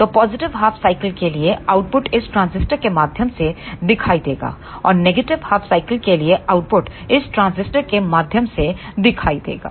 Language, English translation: Hindi, So, for the positive half cycle the output will appear through this transistor and for the negative half cycle the output will appear through this transistor